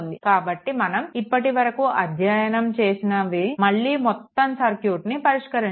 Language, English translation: Telugu, So, whatever we have studied till now again and again you have to solve the whole circuit right